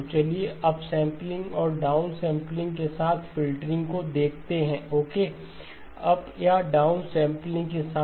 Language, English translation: Hindi, So let us look at filtering with up sampling and down sampling okay, with up or down sampling okay